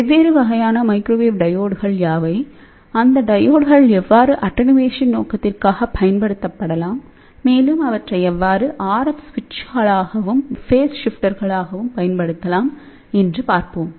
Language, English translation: Tamil, So, we will see; what are the different type of microwave diodes are there and how these diodes can be used for attenuation purpose RF switches as well as phase shifters